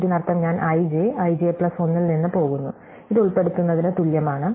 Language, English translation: Malayalam, This means I go from i j, i j plus 1, this corresponds to inserting